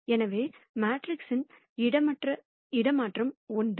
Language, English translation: Tamil, So, the transpose of the matrix is the same